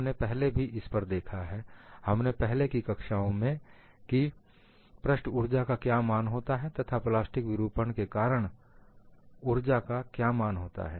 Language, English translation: Hindi, We have already looked at, in one of the earlier classes, what is the value of surface energy, and what is the value of energy due to plastic deformation